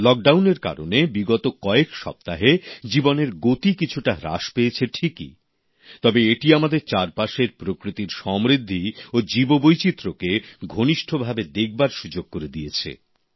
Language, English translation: Bengali, During Lockdown in the last few weeks the pace of life may have slowed down a bit but it has also given us an opportunity to introspect upon the rich diversity of nature or biodiversity around us